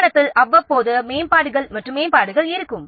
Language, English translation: Tamil, There will be upgrades and enhancements from time to time